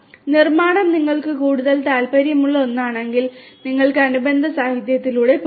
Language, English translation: Malayalam, If manufacturing is one that interests you more you could go through the corresponding literature